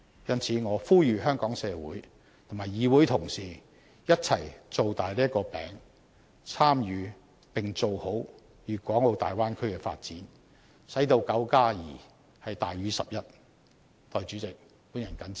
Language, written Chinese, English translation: Cantonese, 因此，我呼籲香港社會及議會同事一起把"餅"造大，參與並做好大灣區的發展，使到9加2大於11。, Thus I urge the Hong Kong society and Members of the Legislative Council to make a bigger cake and participate in the development of the Bay Area so that nine plus two equals more than 11